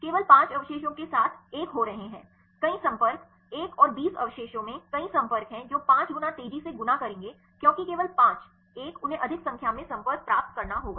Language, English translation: Hindi, One with only 5 residues; there are having multiple contacts another one 20 residues have the multiple contacts which will fold fast the 5 one fold fast because only the 5 one, they have to get more number of contacts